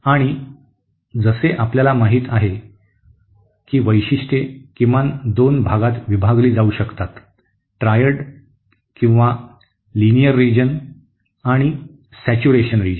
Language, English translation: Marathi, And as we know the characteristics can be divided into 2 minimum regions, the triode or the linear region and the saturation region